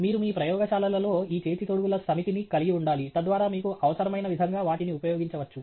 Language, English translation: Telugu, You should have a set of these gloves handy in your labs, so that you can use them as you would need that